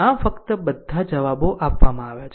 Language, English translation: Gujarati, So, just you all answers are given right